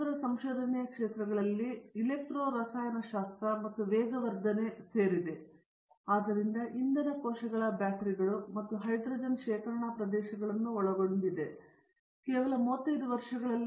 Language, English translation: Kannada, His areas of research include electro chemistry and catalysis so that covers areas such as fuel cells batteries and hydrogen storage, just to name of few and over 35 years